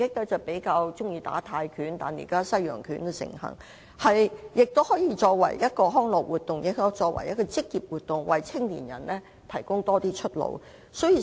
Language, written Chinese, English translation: Cantonese, 往日比較流行泰拳，但現在西洋拳也相當盛行，而拳擊除可作為康樂活動外，亦可作為一項職業，為年青人提供更多出路。, Thai boxing used to be more popular but the popularity of Western boxing has also been rising these days . Boxing can be practised as a recreational activity but it can also be practised as an occupation thus giving young people one more career avenue